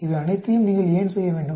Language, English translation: Tamil, Why do you need to do all these